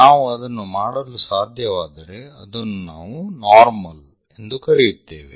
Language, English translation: Kannada, If we can do that, that is what we call normal